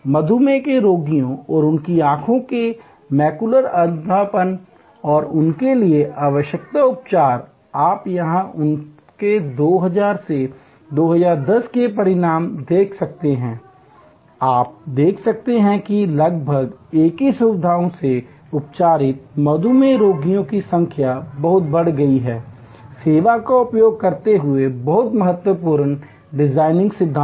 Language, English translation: Hindi, The macular degeneration of diabetic patients and their eyes and the treatments they need and you can see here the result of their 2000 to 2010 and you can see the number of diabetics treated with almost the same facility have gone up very, very significantly using the service design principles